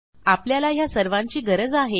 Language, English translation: Marathi, We are going to require all of these